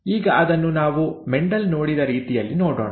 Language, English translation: Kannada, Now let us see the way the Mendel, the way Mendel saw it